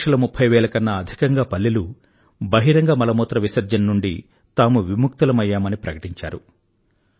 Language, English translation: Telugu, More than two lakh thirty thousand villages have declared themselves open defecation free